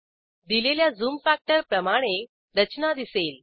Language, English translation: Marathi, The structure appears with the applied zoom factor